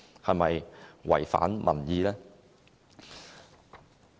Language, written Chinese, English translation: Cantonese, 是否違反民意？, Is it a disregard for public opinions?